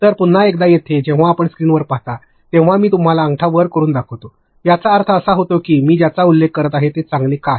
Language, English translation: Marathi, So, again now here when you see on the screen when I show you a thumbs up, it means that what am I referring to, why is it good